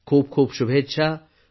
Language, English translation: Marathi, Many best wishes